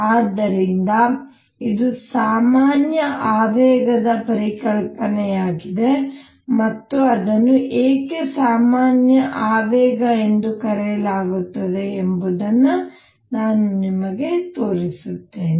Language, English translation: Kannada, So, this is the concept of generalized momentum and let me show you why it is called generalized momentum